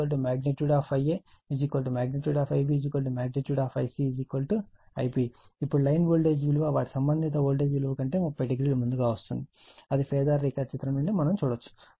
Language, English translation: Telugu, Now, line voltage is lead their corresponding phase voltages by 30 degree that also we can see from their phasor diagram right